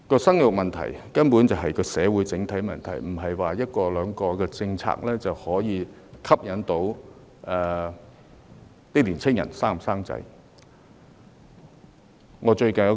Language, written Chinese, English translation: Cantonese, 生育問題根本是社會的整體問題，而不是一兩項政策便足以鼓勵年青人生育的。, Childbirth is actually an issue concerning the community at large and it is not true to say that the formulation of one or two policies will suffice to encourage young people to give birth